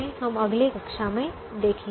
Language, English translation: Hindi, we will see in the next class